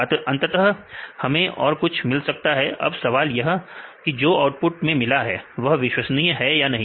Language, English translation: Hindi, Finally, we can get the output now the question is whether the output we get is reliable or not